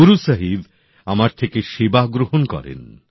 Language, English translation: Bengali, Guru Sahib awarded us the opportunity to serve